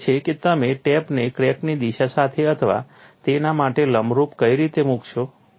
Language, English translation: Gujarati, So, the question is which way you will put the tape along the crack direction or perpendicular to it